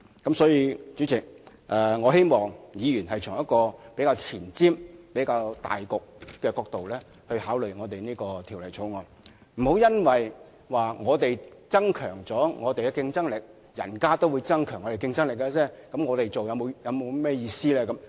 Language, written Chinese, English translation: Cantonese, 因此，代理主席，我希望議員能夠從比較前瞻和着重大局的角度考慮這項《條例草案》，不要說即使我們增強了競爭力，人家也會增強競爭力，這樣做還有意思嗎？, For the above reasons Deputy President I hope Members can consider this Bill from a more forward - looking perspective bearing in mind the overall interest of society . They should not take the view that it is pointless to increase our competitiveness because our competitors will also do the same